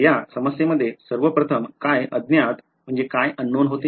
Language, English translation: Marathi, So, first of all in this problem what was unknown